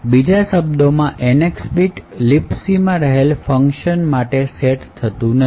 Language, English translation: Gujarati, In other words, the NX bit is not set for the functions in LibC